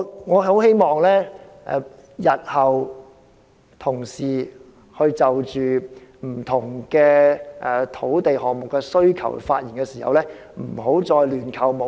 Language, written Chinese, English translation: Cantonese, 我很希望同事日後就不同土地項目的需求發言時，不要再亂扣帽子。, I very much hope that Honourable colleagues will not label other people wilfully when speaking on the requirements for different land projects in future